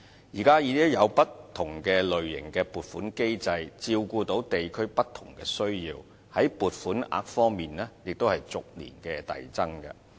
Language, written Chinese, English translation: Cantonese, 現時已經有不同類型的撥款機制照顧地區的不同需要，在撥款額方面也逐年遞增。, Currently different types of funding mechanisms are in place to cater for various district needs and the amount of funding has also been rising gradually every year